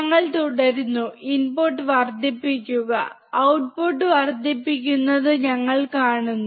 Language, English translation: Malayalam, We keep on increasing input; we see keep on increasing the output